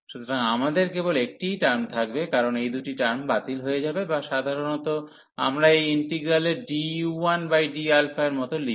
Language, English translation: Bengali, So, we will have only the one term, because these two terms will cancel out or usually we write like d over d alpha of this integral